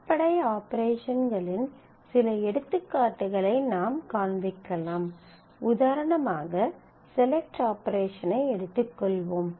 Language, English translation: Tamil, So, we just show a few examples of the basic operations for example, say select operation